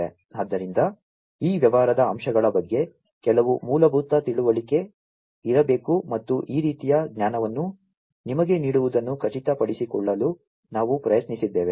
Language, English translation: Kannada, So, there has to be some basic understanding about these business aspects, and this is what we have tried to ensure imparting you with this kind of knowledge